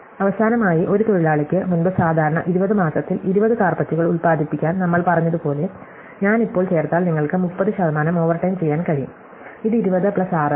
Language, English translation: Malayalam, And finally, as we said before a worker to produces 20 carpets in regular month, if I add now the fact that you can do 30 percent overtime, this is 20 plus 6